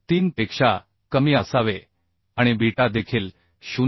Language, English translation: Marathi, 443 and also beta should be greater than or equal to 0